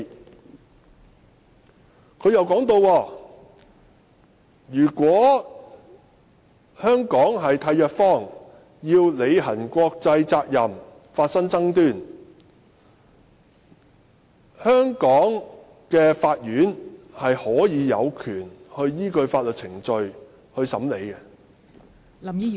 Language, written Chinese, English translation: Cantonese, "政府又提到，如果香港特區與締約方就履行國際法的責任發生爭端，香港的法院有權依據法律程序審理......, The Government also advised that in case there are international law disputes involving the discharge of obligations between HKSAR and the other contracting party HKSAR courts may in accordance with legal procedures